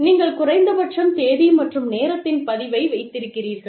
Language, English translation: Tamil, And, you at least, keep the record, of the date and time